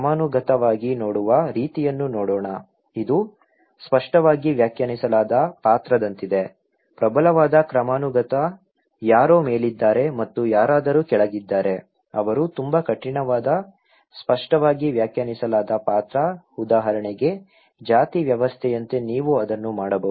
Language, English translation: Kannada, Let’s look at hierarchical way of looking, it’s like clearly defined role, if there is a strong hierarchy somebody on the top and somebody are bottom okay, they are very rigid clearly defined role, you can only do that like caste system for example